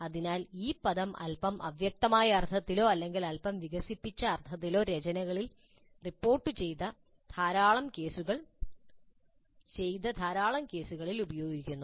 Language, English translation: Malayalam, So, the term is being used somewhat in a slightly vague sense or in a slightly expanded sense in quite a good number of cases reported in the literature